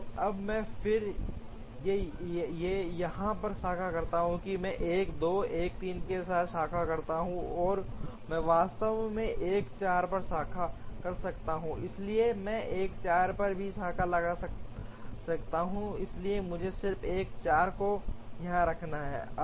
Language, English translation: Hindi, So, now, I branch again on here, I branch with 1 2, 1 3, and I can actually branch on 1 4, so I could branch on 1 4 also, so let me just keep 1 4 also here